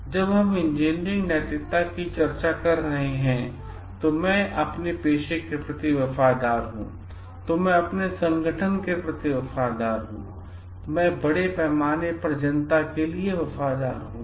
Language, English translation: Hindi, When we are discussing engineering ethics I am loyal to my profession, I am loyal to my organization, I am loyal to the public at large